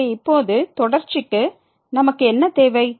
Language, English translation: Tamil, So, now for the continuity what do we need